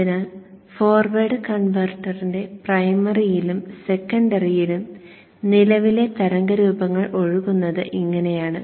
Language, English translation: Malayalam, So this is how the current waveforms flow in the primary and the secondary of the forward converter